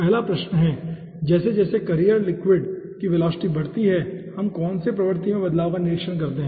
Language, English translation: Hindi, first question: as velocity of carrier liquid increases, which regime conversion we observe